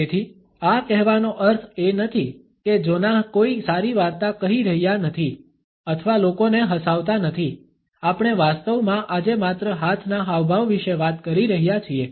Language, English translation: Gujarati, So, this is not to say that Jonah is not telling a good story or making people laugh, we are actually talking just about hand gesticulations today